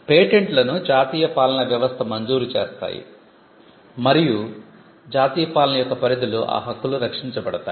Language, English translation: Telugu, Patents are granted by the national regimes and protected within the boundaries of the national regime